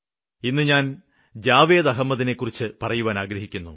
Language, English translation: Malayalam, Today, I want to talk about Javed Ahmed